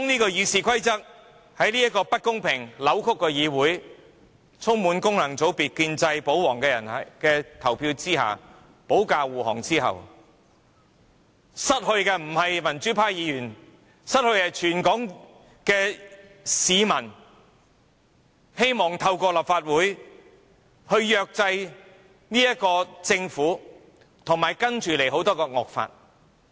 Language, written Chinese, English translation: Cantonese, 當《議事規則》在這不公平、扭曲的議會，經一眾功能界別、建制、保皇議員投票修訂，保駕護航後，損失的不是民主派的議員，而是全港希望透過立法會制約政府及接下來提交的眾多惡法的市民。, Members of the pro - democracy camp are not the ones who lose when Members returned by functional constituency elections and those belong to the pro - establishment and royalists camp vote in support of and pass the amendments proposed to the Rules of Procedure in this unfair and distorted legislature . Instead the ones who lose are all people in Hong Kong who look forward to keeping a check through the Legislative Council on the Government as well as the various draconian laws to be introduced